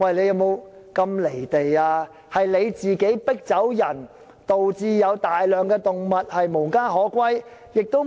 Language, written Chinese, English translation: Cantonese, 是當局將村民迫走，以致有大量動物無家可歸。, It is the authorities that force villagers to leave and plunge huge numbers of animals into homelessness